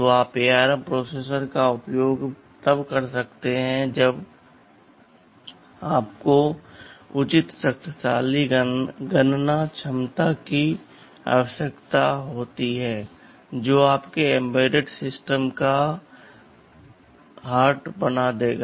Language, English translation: Hindi, So, you use ARM processor when you need reasonably powerful computation capability that will make the heart of your embedded system right